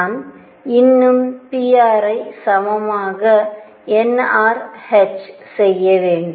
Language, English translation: Tamil, I am still to do pr dr to be equal to nr h let us do that now